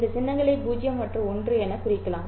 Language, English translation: Tamil, These symbols can be denoted as 0 and 1